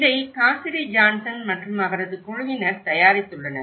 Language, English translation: Tamil, This has been prepared by the Cassidy Johnson and her team